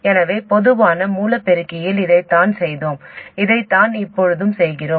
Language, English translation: Tamil, So this is what we did with the common source amplifier and that is what we do now